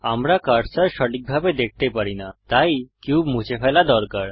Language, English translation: Bengali, We cant see the cursor properly so we must delete the cube